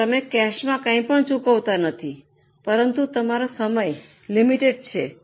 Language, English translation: Gujarati, Maybe you are not paying anything in cash but your time is limited